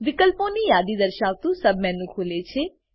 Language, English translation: Gujarati, A submenu opens, displaying a list of options